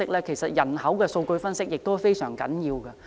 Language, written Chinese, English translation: Cantonese, 其實，人口的數據分析也非常重要。, As a matter of fact the analysis of the demographic data is very important